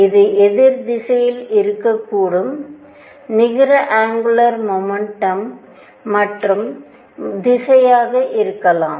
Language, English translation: Tamil, It could also be in the opposite direction the net angular momentum could be the other direction